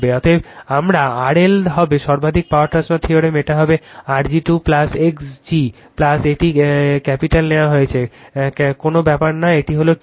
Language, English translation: Bengali, Therefore, my R L will be is equal to maximum power transfer theorem, it will be R g square plus X g plus it is capital is taken does not matter this one is square